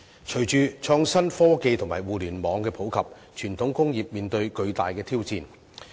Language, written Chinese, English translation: Cantonese, 隨着創新科技及互聯網的普及，傳統工業面對巨大的挑戰。, As innovative technologies and the Internet become popular the traditional industries face enormous challenges